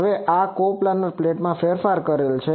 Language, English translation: Gujarati, Now, this is modified coplanar plate